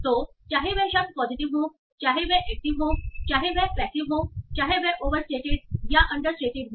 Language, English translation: Hindi, So whether the word is positive, whether it is negative, whether it is passive, overstated or understayed it